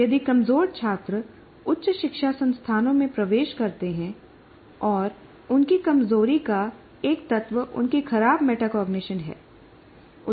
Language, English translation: Hindi, By the time the students enter the higher education institution and if they are weak students and one of the elements of their weakness is the is poor metacognition